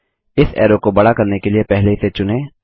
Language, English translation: Hindi, To make this arrow longer, first select it